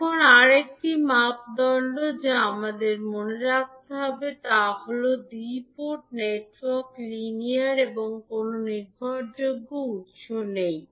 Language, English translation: Bengali, Now, another criteria which we have to keep in mind is that the two port network is linear and has no dependent source